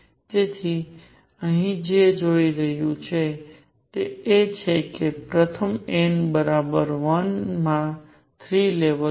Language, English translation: Gujarati, So, what one is seeing here is that in the first n equals 1 there are 3 levels